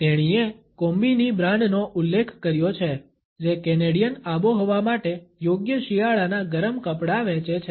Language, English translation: Gujarati, She has referred to the brand of Kombi which sells a warm winter clothing suitable for the Canadian climate